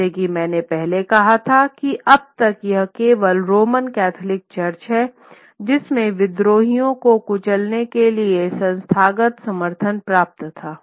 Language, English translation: Hindi, As I had said earlier, that till now it is only the Roman Catholic Church which had the very withal or the institutional backing to crush rebellions